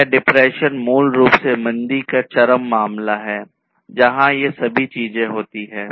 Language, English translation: Hindi, This depression basically is the extreme case of recession, where all of these things would happen